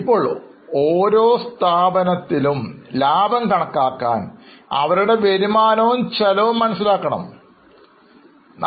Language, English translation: Malayalam, Now, for every entity to calculate the profit you will need to know the incomes and expenses